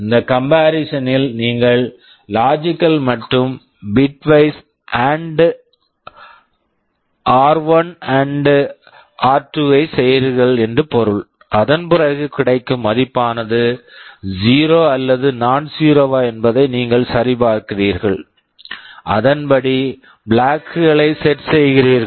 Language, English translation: Tamil, This comparison means you are doing logical and bitwise AND of r1 and r2; then you are checking the result is 0 or nonzero and then accordingly set the flags